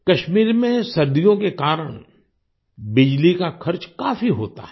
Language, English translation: Hindi, On account of winters in Kashmir, the cost of electricity is high